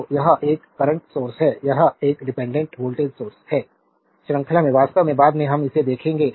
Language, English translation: Hindi, So, it is a current source it is a dependent voltage source, there is series actually later we will see that